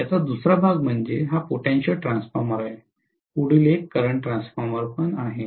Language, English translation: Marathi, The other counterpart of this is, this is potential transformer, the next one is current transformer